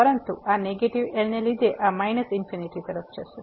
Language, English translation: Gujarati, But because of this negative , this will approach to minus infinity